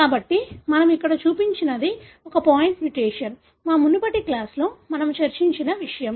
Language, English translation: Telugu, So, what we have shown here is a point mutation, something that we discussed in our previous class